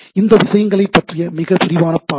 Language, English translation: Tamil, This is a very very broad view of the things